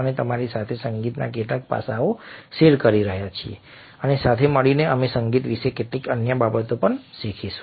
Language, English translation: Gujarati, we are sharing certain aspects of music with you, and together we will learn few other things about music as well